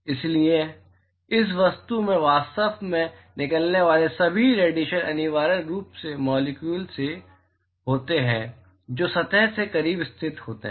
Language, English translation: Hindi, So, therefore, all the radiation that actually comes out of this object are essentially from the molecules which are located close to the surface